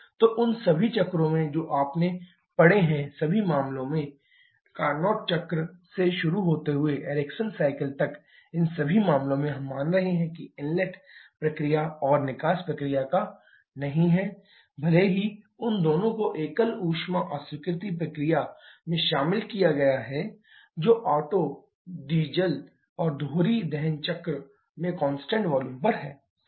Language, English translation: Hindi, So, in all the cycles that you have studied starting from Carnot cycle upto Ericsson cycle in all the cases, we are assuming that there are no inlet process and exhaust process weather those two has been clubbed into single heat rejection process, which is at constant volume in Otto, Diesel and dual combustion cycle